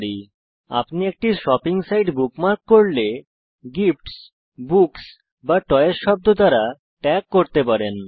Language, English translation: Bengali, * For example, when you bookmark a shopping site, * You might tag it with the words gifts, books or toys